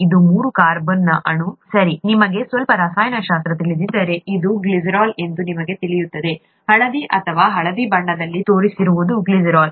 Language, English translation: Kannada, This is a three carbon molecule, okay, if you know a bit of chemistry you would know this is glycerol, the one that is shown in yellow or some shade of yellow there, is glycerol